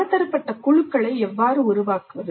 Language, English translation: Tamil, And how do we form multidisciplinary teams